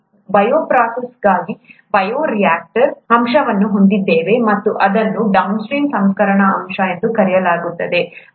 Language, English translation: Kannada, We have, for a bioprocess, the bioreactor aspect, and, what is called the downstream processing aspect